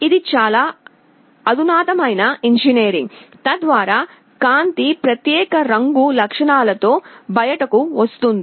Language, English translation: Telugu, It is a very sophisticated kind of engineering that is done so that light comes out with particular color properties